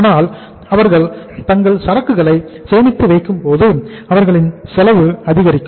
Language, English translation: Tamil, But when they store their inventory their inventory cost goes up